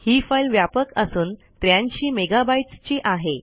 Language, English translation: Marathi, It is a large file, about 83 mega bytes